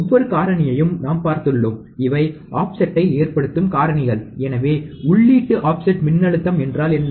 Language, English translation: Tamil, We have seen every parameter, and these are the parameters that will cause the offset, So, what is input offset voltage